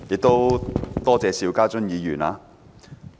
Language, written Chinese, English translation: Cantonese, 主席，多謝邵家臻議員。, President I thank Mr SHIU Ka - chun